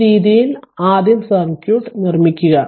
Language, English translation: Malayalam, So, this way first we have to make the circuit